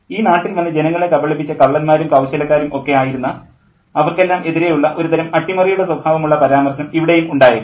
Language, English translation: Malayalam, So maybe there's a kind of a subversive remark there too to all these people as conmen, you know, thieves and tricksters who have come to this country and cheated the people, you know